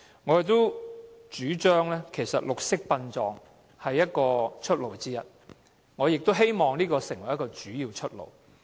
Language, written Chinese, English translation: Cantonese, 我們主張綠色殯葬是出路之一，亦希望這成為一個主要出路。, We hold that green burial is one possible solution and hopefully it will be a major way out